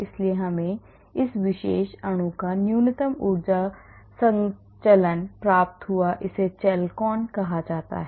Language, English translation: Hindi, so we got the minimum energy conformation of this particular molecule , it is called chalcone